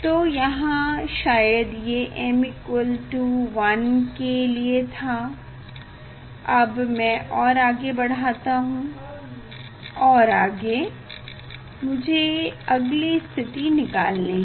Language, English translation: Hindi, So here, this one probably m equal to 1, next I am going ahead, I am going ahead and then I have to find the next position